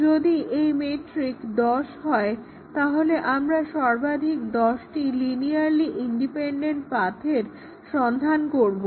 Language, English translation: Bengali, So, the McCabe’s metric is actually is a bound on the number of linearly independent paths